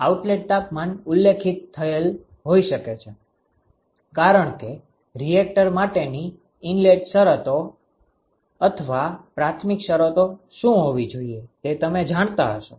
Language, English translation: Gujarati, Your outlet temperatures may have been specified, because you may know what should be the initial conditions for the or the inlet conditions for a reactor